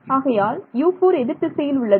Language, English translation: Tamil, So, U 1 is fine U 4 is in the opposite direction